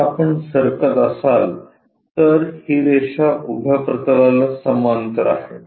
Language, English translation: Marathi, So, if we are moving this line parallel to the plane vertical plane